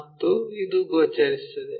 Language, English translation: Kannada, And this one is visible